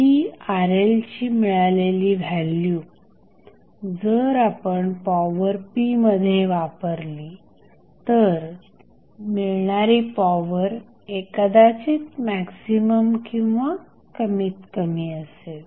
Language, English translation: Marathi, The Rl value what we get if you supply that value Rl into the power p power might be maximum or minimum